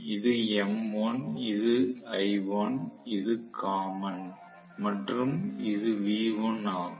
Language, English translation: Tamil, This is m1, this is l1, this is common and this is v1